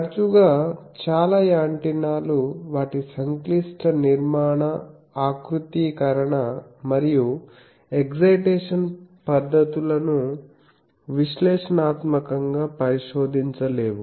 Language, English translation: Telugu, Often many antennas because of their complex structural configuration and the excitation methods cannot be investigated analytically